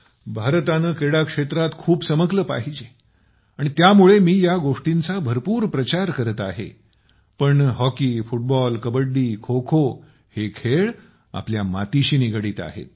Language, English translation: Marathi, India should bloom a lot in the world of sports and that is why I am promoting these things a lot, but hockey, football, kabaddi, khokho, these are games rooted to our land, in these, we should never lag behind